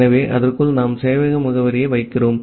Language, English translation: Tamil, So, inside that we are putting the server address